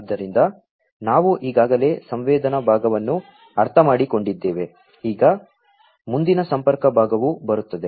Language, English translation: Kannada, So, we have already understood the sensing part now next comes the connectivity part